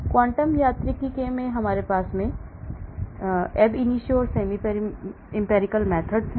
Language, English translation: Hindi, in quantum mechanics we have the ab initio and the semi empirical method